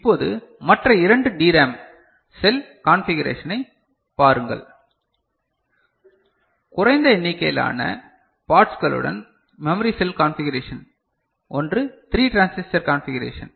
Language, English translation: Tamil, Now, looking at the other two DRAM cell configuration; memory cell configuration with lower number of parts so, one is 3 transistor configuration